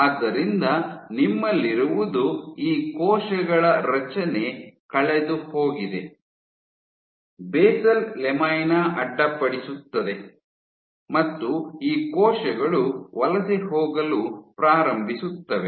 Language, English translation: Kannada, So, what you have is these cells, the structure is lost, the basal lamina is disrupted and these cells start to migrate